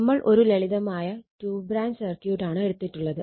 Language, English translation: Malayalam, We have taken a simple two branch circuit right